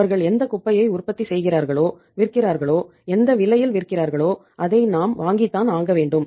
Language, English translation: Tamil, Whatever the garbage they are manufacturing and selling to us and the cost rather the price they are selling it to us we are bound to have it